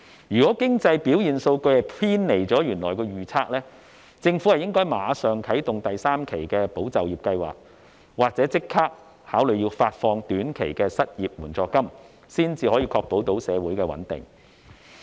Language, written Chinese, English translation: Cantonese, 如果經濟表現數據偏離了原來的預測，政府應該立即啟動第三期"保就業"計劃，或考慮發放短期失業援助金，以確保社會的穩定。, If our economic performance data has deviated from the original forecast the Government should immediately roll out the third tranche of the Employment Support Scheme or consider providing short - term unemployment assistance so as to ensure social stability